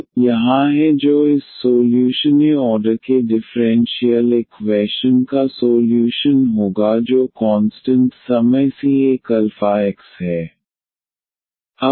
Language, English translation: Hindi, So, here z is equal to c 1 e power alpha x that will be the solution of this first order differential equation the constant time c 1 alpha x